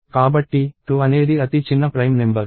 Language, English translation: Telugu, So, 2 is the smallest prime number